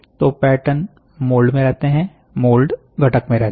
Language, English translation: Hindi, So, pattern makes a mould, mould makes a component ok